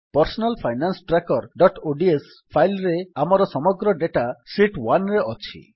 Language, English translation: Odia, In our Personal Finance Tracker.ods file, our entire data is on Sheet 1